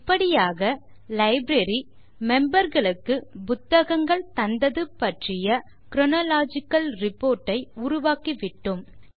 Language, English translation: Tamil, Thus we have created our chronological report of books issued to the Library members